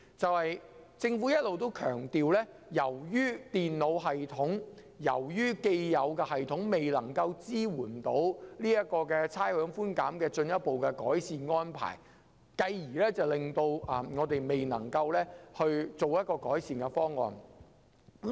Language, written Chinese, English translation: Cantonese, 政府一直強調，由於既有的電腦系統未能支援差餉寬減的進一步改善安排，因而未能實施改善方案。, The Government has all along stressed that it cannot implement any improvement proposal as the existing computer system fails to support any further improved arrangement for rates concession